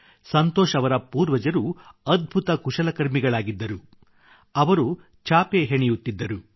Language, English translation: Kannada, Santosh ji's ancestors were craftsmen par excellence ; they used to make mats